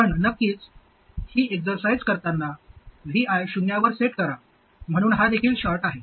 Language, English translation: Marathi, And of course, while carrying out this exercise, VA is set to 0, so this is also a short